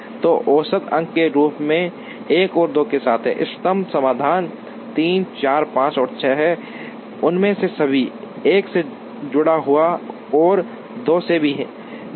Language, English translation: Hindi, So, with 1 and 2 as median points, the optimum solution is 3 4 5 and 6, all of them get attached to 1 and 2 is by is itself